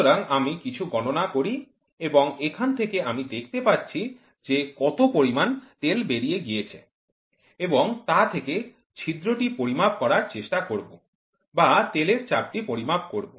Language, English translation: Bengali, So, I do some calculations and from here now, I will see what is the oil which has got leaked and then try to measure the leak or measure the pressure of the oil and from here I cross correlate to measure the weight